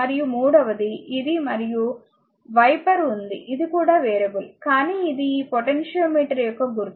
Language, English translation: Telugu, And third one this one and wiper is there this is a this is also variable, but this is symbol of this potentiometer